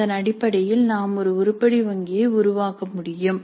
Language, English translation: Tamil, So the managing based on that we can create an item bank